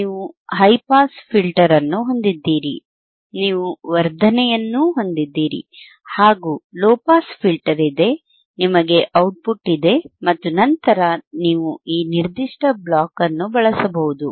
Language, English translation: Kannada, yYou have a high pass filter, you have amplification, you have a low pass filter, you have the output and then you can usinge this particular block,